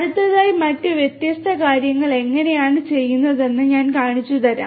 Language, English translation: Malayalam, Next I am going to show you how different other things are done